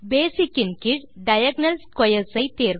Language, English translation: Tamil, Under Basic choose Diagonal Squares